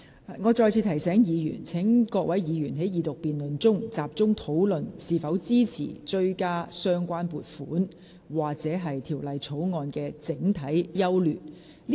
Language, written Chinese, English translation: Cantonese, 我再次提醒議員，在這項二讀辯論中，議員應集中討論是否支持追加有關撥款或《條例草案》的整體優劣。, Let me remind Members again that in this Second Reading debate Members should focus on discussing whether they support the relevant supplementary appropriation or the general merits of the Bill